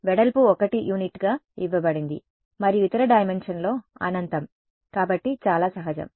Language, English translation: Telugu, The width is given as 1 unit and infinite in the other dimension so, fairly intuitive right